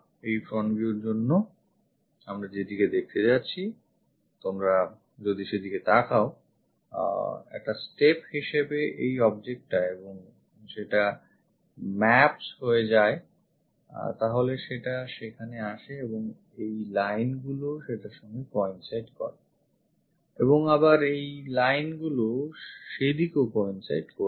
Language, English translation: Bengali, For this front view if you are looking at that what we are going to see is; this one as the object as a step and that goes maps via there comes there these lines coincides with that and again these lines will coincides in that way